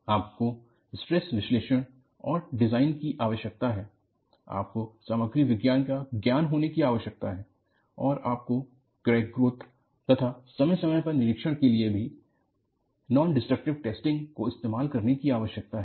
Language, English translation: Hindi, You need to have Stress Analysis and Design, you need to have knowledge of Material Science and you need to employ Non Destructive Testing to monitor the crack growth and also, for periodic inspection